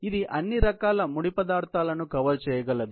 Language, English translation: Telugu, It can cover all kind of raw materials